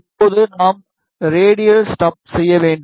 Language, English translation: Tamil, Now, we need to make the radial stubs